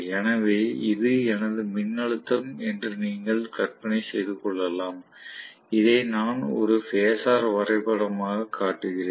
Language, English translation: Tamil, So you can imagine if this is my voltage, I am just showing this as a form of phasor diagram